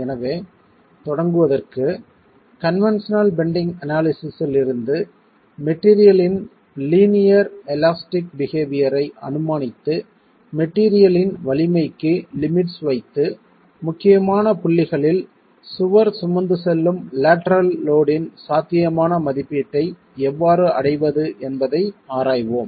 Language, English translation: Tamil, So, to begin with, let's examine how from conventional bending analysis, assuming linear elastic behavior of the material, we can put limits on the strengths of the material and arrive at possible estimate of the lateral load that the wall can carry at critical points of the behavior